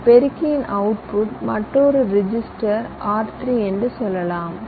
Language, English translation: Tamil, the output of this multiplier can go to another register, say r three